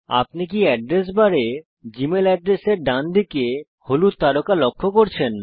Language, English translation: Bengali, Did you notice the yellow star on the right of the gmail address in the Address bar